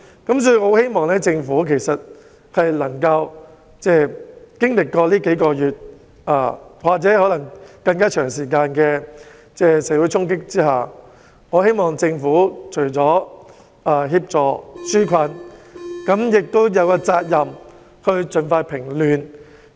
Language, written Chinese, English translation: Cantonese, 因此，我希望政府經歷這數個月或可能更長時間的社會衝擊之後，除了應該紓解民困，亦有責任盡快平亂。, For this reason I hope the Government after experiencing the social unrest in these several months or perhaps a longer time would take up the duty to quell the unrest as soon as possible in addition to relieving peoples hardship